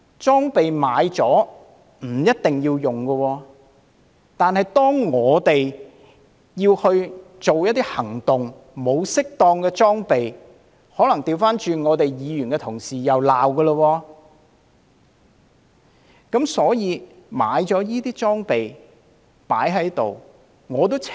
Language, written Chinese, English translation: Cantonese, 購買了裝備，不一定要使用，但當警方要作出一些行動而沒有適當裝備，可能議員同事又會反過來予以批評。, It may not be necessary to use the equipment purchased . However if the Police do not have the right equipment to carry out certain operations Honourable colleagues may turn around and criticize them